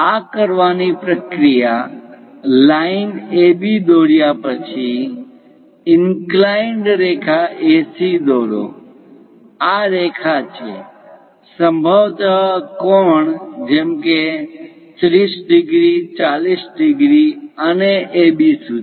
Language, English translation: Gujarati, To do that, the procedure is after drawing line AB, draw a inclined line AC; this is the line, perhaps an acute angle like 30 degrees, 40 degrees, and so on to AB